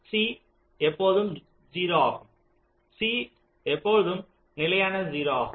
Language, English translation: Tamil, c is always zero